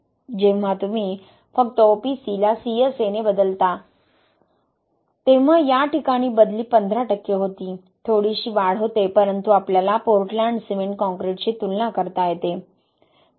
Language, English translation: Marathi, When you just replace OPC with CSA, in this case the replacement was fifteen percent, small increase but I would say that we can get comparable strength to Portland cement concrete